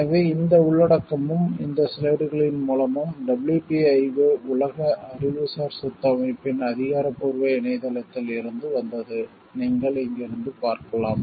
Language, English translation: Tamil, So, this content and the source of these slides have been from the official website of the WPIO, World Intellectual Property Organization, as you can see from here